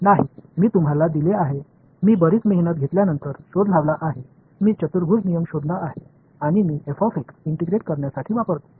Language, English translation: Marathi, No, I have given you I have invented after a lot of hard work I have invented a quadrature rule ok and, I use it to integrate f of x